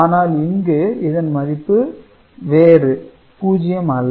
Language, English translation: Tamil, So, this is not 0